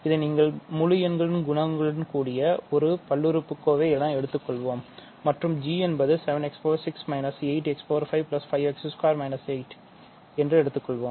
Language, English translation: Tamil, So, you can think of this as a polynomial with integer coefficients and let us say g is 7 x power 6 minus 8 x power 5 plus 5 x squared minus 8 ok